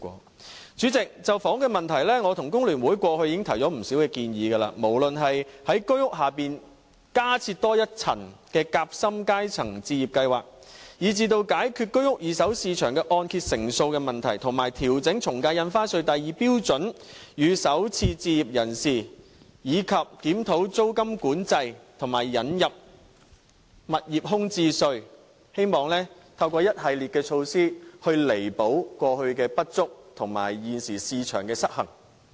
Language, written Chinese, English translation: Cantonese, 代理主席，就着房屋問題，我與工聯會過去已提出不少建議，例如在居屋之下加設多一層夾心階層置業計劃、解決居屋二手市場按揭成數問題、調整從價印花稅第2標準稅率予首次置業人士、檢討租金管制，以及引入物業空置稅，希望透過一系列措施彌補過去的不足和現時市場的失衡。, Deputy President with regard to the housing problem I and FTU have raised many suggestions previously with a view to compensate for past inadequacies and correct market imbalance at present through a series of measures such as introducing a sandwich class housing scheme beneath HOS resolving the problem concerning the loan - to - value ratio of the second - hand HOS market revising the ad valorem stamp duty rates at Scale 2 for first time home buyers reviewing rental control and introducing a vacant property tax